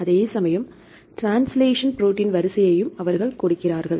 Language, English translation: Tamil, Same thing they give the translation protein sequence also right the fine